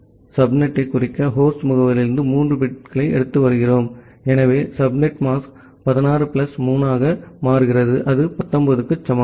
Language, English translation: Tamil, Because, we are taking 3 bits from the host address to denote the subnet, so the subnet mask becomes 16 plus 3 that is equal to 19